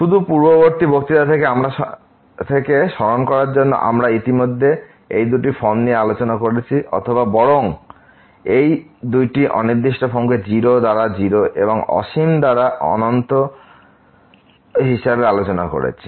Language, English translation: Bengali, Just to recall from the previous lecture we have discussed already these two forms or rather these two indeterminate forms of the type as 0 by 0 and infinity by infinity